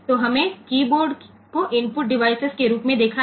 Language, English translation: Hindi, seen the keyboard as an input device